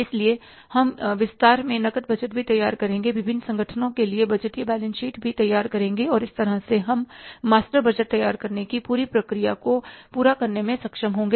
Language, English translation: Hindi, We'll be preparing the budgeted balance sheets also and that way will be able to complete the entire process of preparing the master budgets